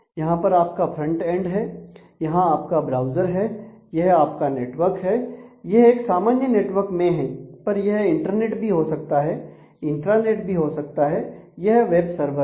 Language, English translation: Hindi, So, this is where your frontend is where you have the browser where you see that this is the network; we are just in general writing network it could be internet it could be intranet and a web server